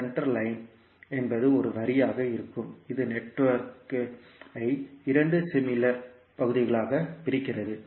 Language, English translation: Tamil, Center line would be a line that can be found that divides the network into two similar halves